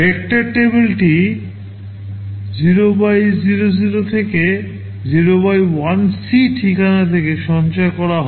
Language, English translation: Bengali, The vector table is stored from address 0x00 to 0x1c